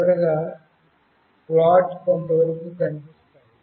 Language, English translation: Telugu, Finally, the plot looks somewhat like this